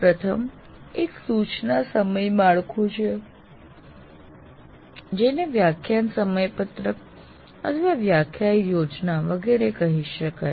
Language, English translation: Gujarati, First thing is there is an instruction schedule and which can be called as lecture schedule or lecture plan, whatever you have